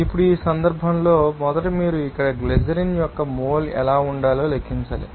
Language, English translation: Telugu, Now, in this case, first of all you have to calculate what should be the mole of the glycerin here